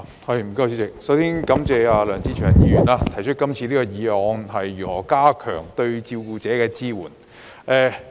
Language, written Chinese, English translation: Cantonese, 主席，我首先感謝梁志祥議員提出這項題為"加強對照顧者的支援"議案。, President first of all I would like to thank Mr LEUNG Che - cheung for proposing the motion on Enhancing support for carers